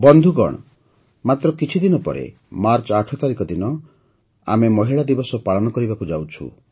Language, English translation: Odia, Friends, just after a few days on the 8th of March, we will celebrate 'Women's Day'